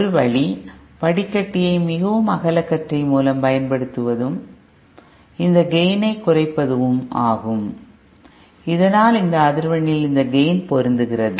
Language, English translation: Tamil, One way is to simply use the filter with a very broadband and bring this gain down, so that it matches with the gain of this one at this frequency